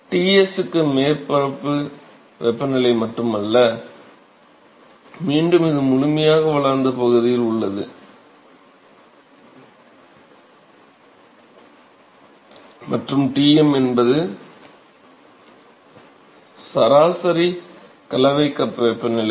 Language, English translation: Tamil, So, not just that for Ts is the surface temperature, and again this is in the fully developed region and Tm is the average or the mixing cup temperature